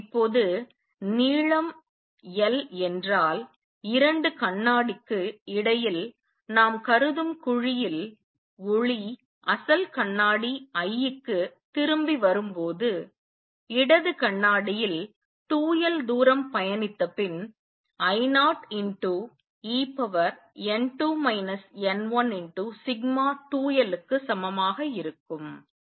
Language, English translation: Tamil, Now in the cavity that we just consider between the two mirror if the length is l, by the light comes back to the original mirror I at the left mirror after travels 2 l distance is going to be equal to I 0 e raise to n 2 minus n 1 sigma times 2 l